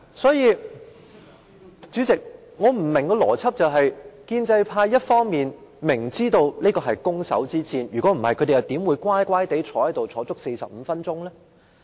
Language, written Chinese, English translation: Cantonese, 所以，建制派一方面知道這是攻守之戰，否則他們怎會乖乖坐在這裏45分鐘？, On the one hand the pro - establishment camp knows that the two camps are in a battle; otherwise why will they remain seated for 45 minutes?